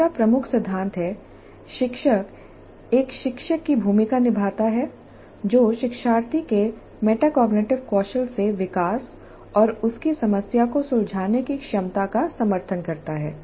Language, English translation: Hindi, The second key principle is teacher plays the role of a tutor supporting the development of learners metacognitive skills and her problem solving abilities